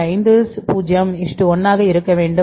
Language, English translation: Tamil, 50 is to 1